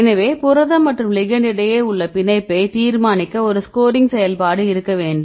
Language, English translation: Tamil, So, we need to have a scoring function to decide the binding affinity right between the protein as well as the ligand